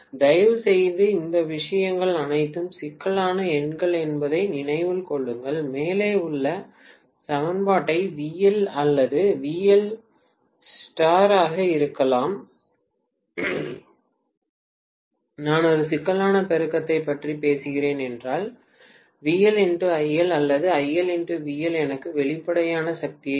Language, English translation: Tamil, Please remember all of these things are complex numbers, I can simply multiply the above equation by VL or VL conjugate if I am talking about a complex multiplication, VL conjugate IL or IL conjugate VL will give me apparent power